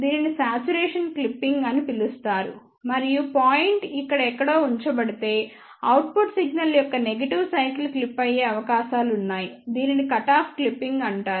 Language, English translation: Telugu, This is known as the saturation clipping and if the point is chosen somewhere here then there are chances that the negative cycle of the output signal may get clipped this is known as the cutoff clipping